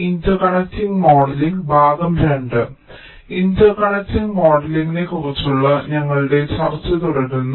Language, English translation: Malayalam, so we continue with our discussion on interconnect modeling